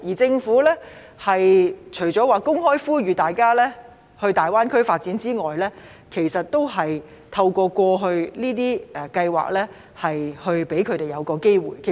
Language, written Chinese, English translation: Cantonese, 政府方面除公開呼籲大家前往大灣區發展外，過去就只透過這些計劃為他們提供機會。, Apart from openly calling on them to go to GBA for development the Government has merely offered them such opportunities via the above programmes so far